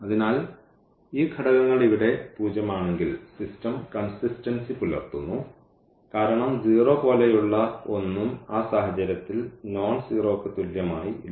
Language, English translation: Malayalam, So, if these elements are 0 here then we have that the system is consistent because there is nothing like 0 is equal to nonzero in that case